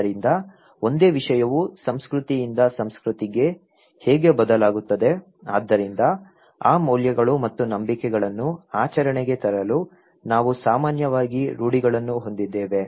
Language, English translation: Kannada, So, how the same thing varies from culture to culture, so in order to put those values and beliefs into practice, we have generally norms